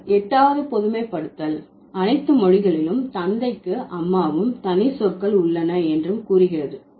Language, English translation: Tamil, Then the eight generalization says, there are, in all languages, there are separate words for father and mother, and I told you already